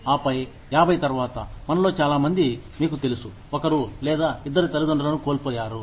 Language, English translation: Telugu, And then, after 50, most of us, you know, have lost one or both parents